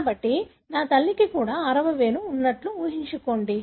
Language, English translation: Telugu, So, assuming my mother is also having six fingers